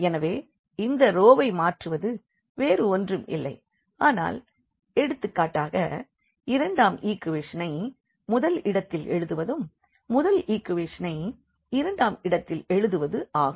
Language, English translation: Tamil, So, changing this row is nothing, but just the writing the second equation for example, at the first place and the first equation at the second place